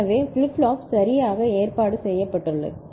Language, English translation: Tamil, So, this is the way the flip flop is arranged ok